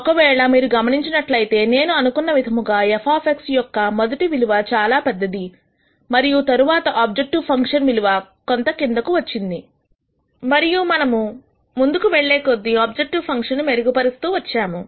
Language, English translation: Telugu, If you noticed, I think the first value was very high for f of X and after the first iteration the objective function value came down quite a bit, and then we have gradually keep improving the objec tive function value